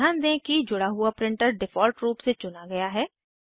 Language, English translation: Hindi, Notice that the connected printer is selected by default